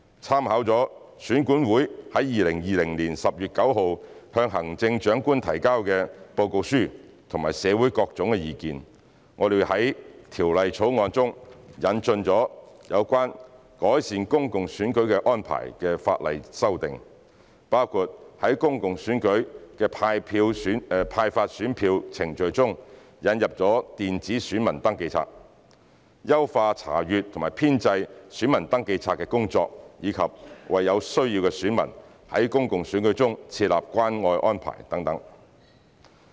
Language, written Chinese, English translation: Cantonese, 參考了選管會在2020年10月9日向行政長官提交的報告書和社會的各種意見，在《條例草案》中引進有關改善公共選舉安排的法例修訂，包括在公共選舉的派發選票程序中引入電子選民登記冊、優化查閱和編製選民登記冊的工作及為有需要的選民在公共選舉中設立關愛安排等。, Taking into account EACs report submitted to the Chief Executive on 9 October 2020 and various views in society the Bill has introduced legislative amendments on improving the arrangements in public elections which include implementing electronic poll register in the ballot paper issuance process in public elections; enhancing the inspection and compilation of the registers of electors making caring arrangements for electors in need in public elections